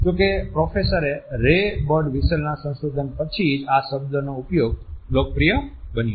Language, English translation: Gujarati, However, the usage of the term became popular only after the research of Professor Ray Birdwhistell was published